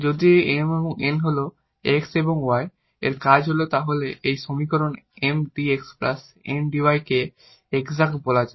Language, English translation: Bengali, If this M and N are the functions of x and y then this equation Mdx plus Ndy is called exact